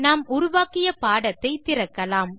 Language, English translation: Tamil, Now let us open the lecture we created